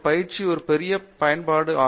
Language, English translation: Tamil, All these training will be of a great use